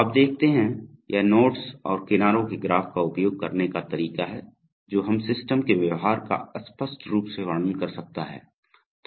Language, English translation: Hindi, So you see, so this is the way using a graph of nodes and edges we can describe the behavior of the system unambiguously